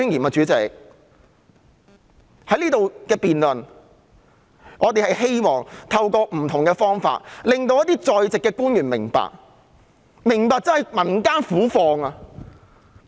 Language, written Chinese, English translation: Cantonese, 在這裏進行的辯論中，我們希望透過不同方法令一些在席官員明白民間苦況。, In the debates held here we seek to make in different ways the attending public officers understand peoples plight